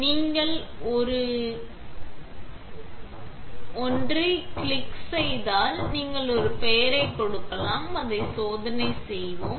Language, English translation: Tamil, When you click an available one, you can give it a name, let us call it test